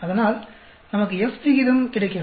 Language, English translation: Tamil, So, we get F ratio